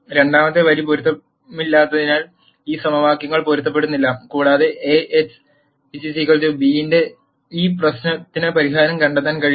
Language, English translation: Malayalam, And since the second row is inconsistent, these equations are inconsistent and one cannot nd a solution to this problem of A x equal to b